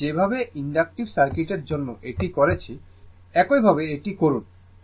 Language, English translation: Bengali, The way I have done for inductive circuit, same way you do it